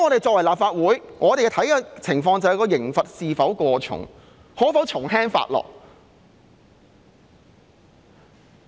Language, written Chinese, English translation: Cantonese, 作為立法會議員，我們看的就是刑罰是否過重，可否從輕發落？, As a Member of the Legislative Council we have to examine if the penalties are too heavy and whether they can be made more lenient